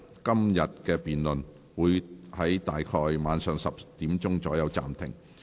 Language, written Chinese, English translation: Cantonese, 今天的辯論會在晚上10時左右暫停。, Todays debate will be suspended at about 10col00 pm